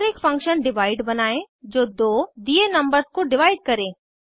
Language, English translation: Hindi, And Create a function divide which divides two given numbers